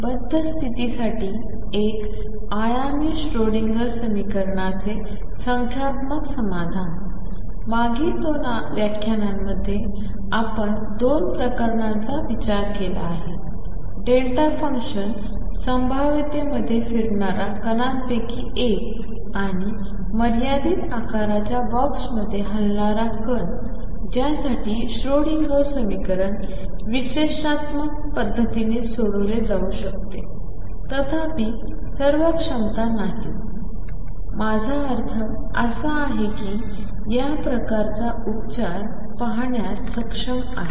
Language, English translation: Marathi, In the previous 2 lectures, we have considered 2 cases; one of a particle moving in a delta function potential and particle moving in a finite size box for which the Schrodinger equation could be solved analytically; however, all potentials are not; I mean able to see this kind of treatment